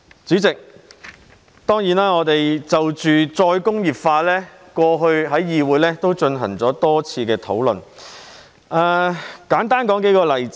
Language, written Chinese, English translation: Cantonese, 主席，我們過去在立法會曾就着再工業化進行了多次討論，讓我簡單舉數個例子。, President we have had numerous discussions in the Legislative Council on the subject of re - industrialization before . Let me just cite a few examples briefly